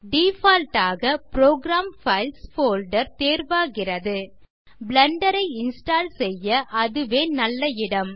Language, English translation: Tamil, By default the Program Files folder is selected which is a good location to install Blender so go ahead and hit the Install button